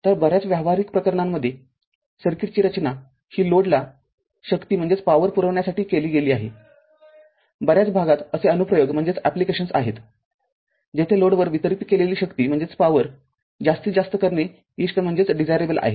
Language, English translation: Marathi, So, the in many practical cases a circuit is designed to provide power to a load, there are applications in many areas, where it is desirable to maximize the power delivered to the load right